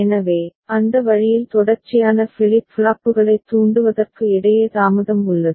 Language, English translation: Tamil, So, that way there is a delay between the triggering of consecutive flip flops